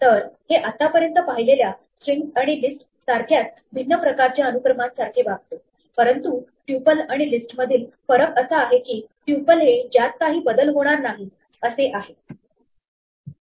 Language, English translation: Marathi, So, this behaves very much like a different type of sequence exactly like strings and lists we have seen so far, but the difference between a tuple and a list is that a tuple is immutable